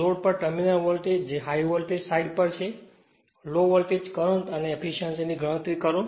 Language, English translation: Gujarati, Calculate the terminal voltage or load that is on high voltage side, low voltage current and the efficiency right